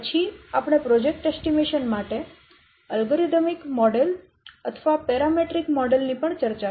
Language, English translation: Gujarati, Then as also we have also discussed the algorithmic model or the parameter model for project estimation